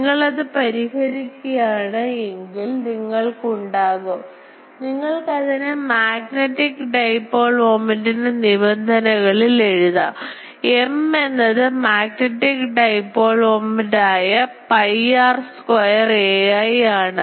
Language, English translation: Malayalam, So, you can write it in terms of magnetic dipole moments as where M we have used that magnetic dipole moments pi r square a i